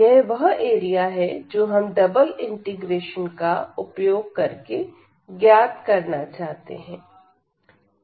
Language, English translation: Hindi, So, this is the area we are going to compute now with the help of double integral